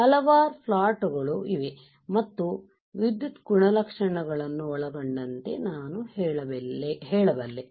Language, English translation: Kannada, Several plots right and I can say including electrical characteristics right